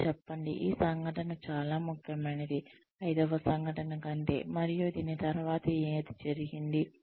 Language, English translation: Telugu, And say, this incident was more important, more significant than say, the fifth incident, that took place after this